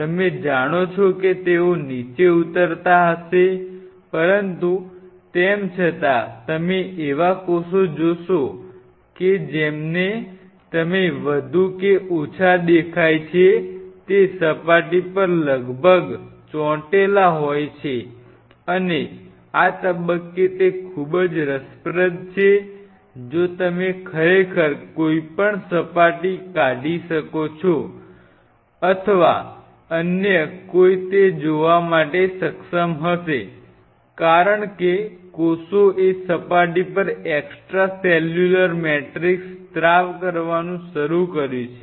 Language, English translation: Gujarati, They will be you know hopping down rolling down, but still you will see cells which are more or less looks to you as if there are almost kind of sticking to that surface and at this stage it is very interesting at this stage if you if one can really figure out some way or other one will able to see that since these cells have started secreting extracellular matrix on the surface